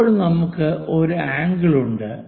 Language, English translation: Malayalam, Now, we have an angle